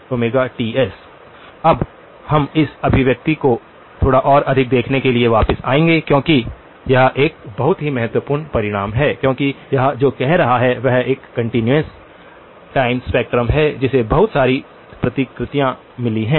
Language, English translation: Hindi, Now, we will come back to looking at this expression a little bit more because, this is a very, very key result, because what it is saying is there is a continuous time spectrum which has got lots of replicas